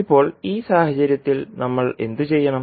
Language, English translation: Malayalam, Now, in this case what we have to do